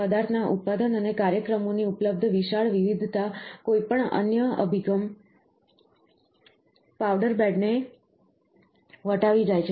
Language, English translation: Gujarati, The large variety of the material manufacture and applications, that are available surpasses those of any other approach powder bed